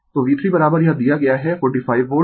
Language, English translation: Hindi, So, V 3 is equal to it is given 45 Volt